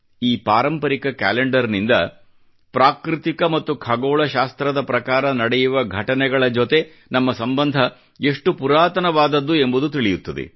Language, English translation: Kannada, This traditional calendar depicts our bonding with natural and astronomical events